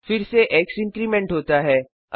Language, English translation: Hindi, Again x is incremented